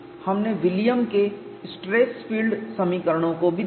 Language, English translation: Hindi, We also looked at William stress field equations